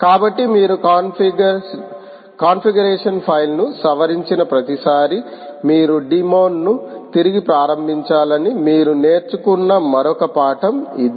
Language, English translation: Telugu, so this is another lesson that you learn: that every time you modify the configuration file, you must restart the demon so that changes are affected